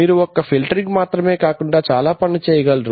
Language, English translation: Telugu, So you can do more than just doing filtering